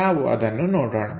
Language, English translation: Kannada, Let us look at it